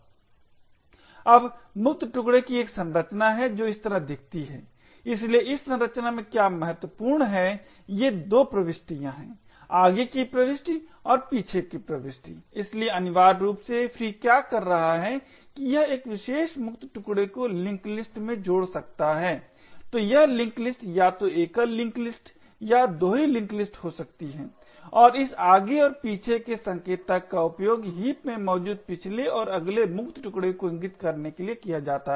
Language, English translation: Hindi, Now the free chunk has a structure which looks like this, so what is important in this structure are these 2 entries the forward entry and the back entry, so essentially what free is doing is that it could add this particular free chunk into a link list, so this link list could be either a single link list or a double link list and this forward and back pointers are used to point to the previous and the next free chunk present in the heap